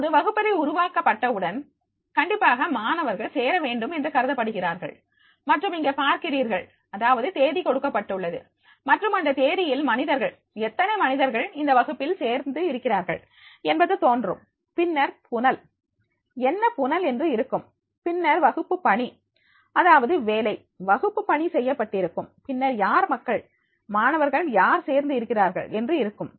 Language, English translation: Tamil, ) Now, once the classroom is created definitely students are supposed to join, and here we will find that is now you see here that is the date has been given and in the date that there will be the people, number of people those who have join the class that will also appear, then there will be the stream, that is what stream is there, then the class work that is work, classwork has been done and then the who is the people, student who has joined